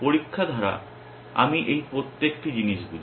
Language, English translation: Bengali, By test I mean each individual these things